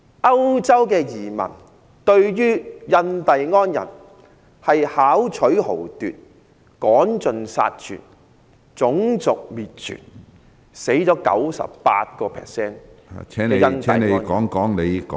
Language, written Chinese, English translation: Cantonese, 歐洲移民對印第安人巧取豪奪、趕盡殺絕、種族滅絕，令 98% 的印第安人死亡。, The European immigrants robbed the Indians of their resources killed them in large numbers and even committed genocide killing 98 % of the Indians